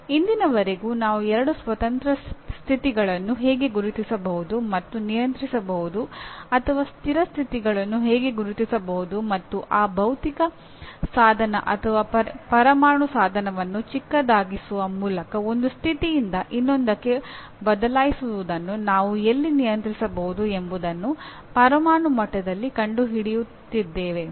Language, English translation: Kannada, Till today, even now people are still finding out at atomic level how can we identify two independent states and control or rather stable states and where we can control this switching over from one state to the other by making that physical device or atomic device smaller and smaller we are able to kind of bring more and more memory into a smaller and smaller place